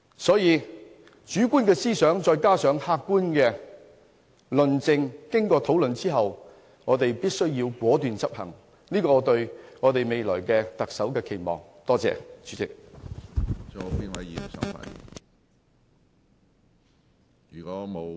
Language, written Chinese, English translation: Cantonese, 所以，主觀思想加上客觀論證，再經過討論，我們便必須果斷執行，使對未來特首的期望能實現。, In conclusion therefore the decision made under subjective thinking with the support of objective argumentation and discussion must be executed in a resolute manner in order that our expectations for the future Chief Executive will become a reality